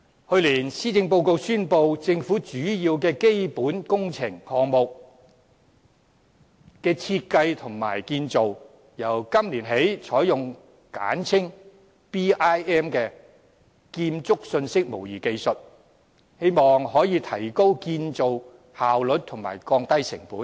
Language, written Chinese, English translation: Cantonese, 去年施政報告宣布，政府的主要基本工程項目的設計和建造，由今年起採用簡稱 BIM 的建築信息模擬技術，希望可以提高建造效率和降低成本。, The Government announced in the Policy Address last year that the technology of Building Information Modelling abbreviated as BMI would be adopted in the design and construction of major government capital works projects starting from this year in the hope of increasing construction efficiency and lowering costs